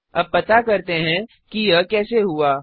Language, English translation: Hindi, Now let us find out how this happened